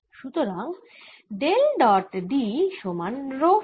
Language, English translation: Bengali, so del dot d is equal to rho free